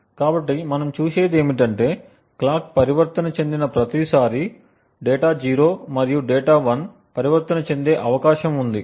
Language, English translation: Telugu, So, what we see is that every tie the clock transitions, it is likely that the data 0 and data 1 may transition